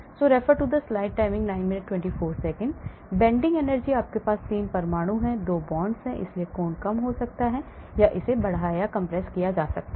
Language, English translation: Hindi, Bending energy, you have 3 atoms and there are 2 bonds so the angle could be less or it could be extended or expanding or compressing